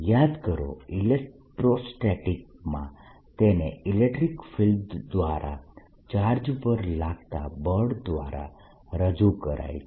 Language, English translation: Gujarati, remember, in electric field represented force on a charge by the field